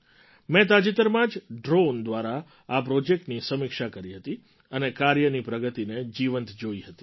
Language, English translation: Gujarati, Recently, through drones, I also reviewed these projects and saw live their work progress